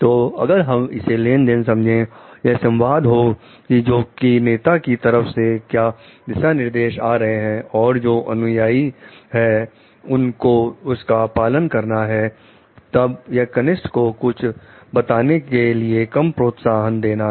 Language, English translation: Hindi, So, if we take it as a transaction which is only one being communication between like what the direction comes from the leader and the follower has to follow it, then the it gives less of encouragement to the juniors to tell something